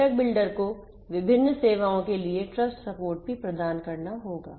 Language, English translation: Hindi, The component builder will also have to provide trust support for different services